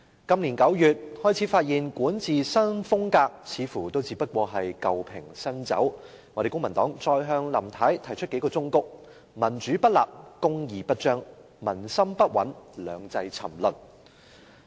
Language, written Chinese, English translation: Cantonese, 今年9月，我們開始發現林太的管治新風格似乎只是舊瓶新酒，公民黨便再向她提出數個忠告："民主不立、公義不彰、民心不穩、兩制沉淪"。, In September this year when the Civic Party started to realize that Carrie LAMs so - called new style of governance was only old wine in a new bottle we advised her that where there is no democracy there will be no justice; when people lack a sense of security one - country two - systems will fail